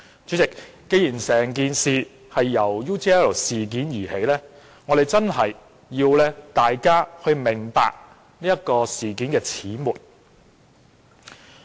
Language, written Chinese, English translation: Cantonese, 主席，既然整件事由 UGL 事件而起，我們便要讓大家明白事件的始末。, President since the incident arises from the UGL incident we have to brief Members on the circumstances leading to it